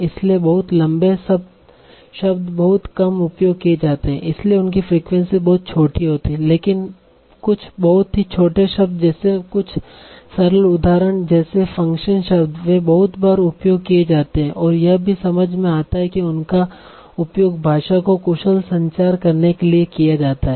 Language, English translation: Hindi, So the very, very are very very rarely used so their frequency is very very small but some of the very small words like some simple examples like function words they are used very very often that also makes sense because language is used for having some efficient communication okay so you cannot have long words that are very, very common